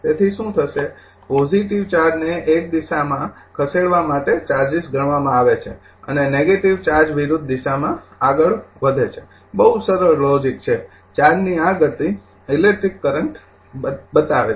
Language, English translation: Gujarati, So, what will happen, charges are compute to move positive charge is move in one direction and the negative charges move in the opposite direction a very simple logic this motion of charge is create electric current